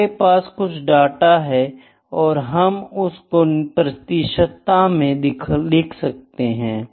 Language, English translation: Hindi, We having some data, we can put that data into percentages as well